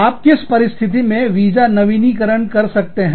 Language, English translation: Hindi, On what condition, would you renew the visa